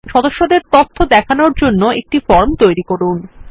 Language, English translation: Bengali, Design a form to show the members information